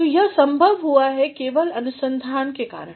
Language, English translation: Hindi, So, this has been possible only because of research